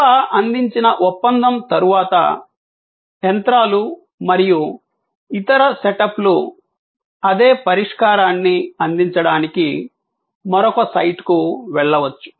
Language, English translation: Telugu, And after that contract that service is provided, the machines and other setups can move to another site to provide the same solution